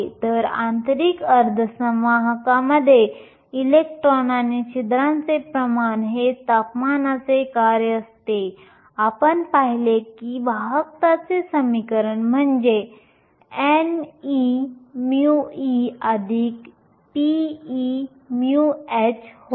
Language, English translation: Marathi, So, the concentration of electrons and holes in an intrinsic semiconductor as a function of temperature, we saw that the conductivity equation is nothing, but n e mu e plus p e mu h